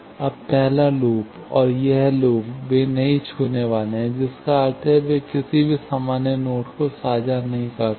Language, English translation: Hindi, Now, first loop, and this loop, they are non touching means that they do not share any common node